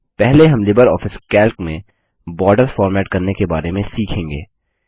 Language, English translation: Hindi, First let us learn about formatting borders in LibreOffice Calc